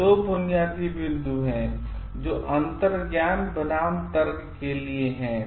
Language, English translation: Hindi, So, there are two basic points which are for intuition versus reasoning